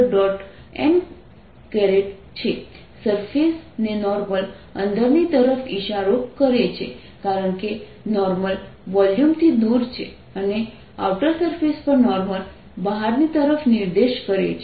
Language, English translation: Gujarati, the normal on the surface is pointing inside because normally away from the volume, and on the outer surface normal is pointing out